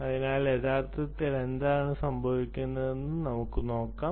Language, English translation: Malayalam, so lets see what actually is happening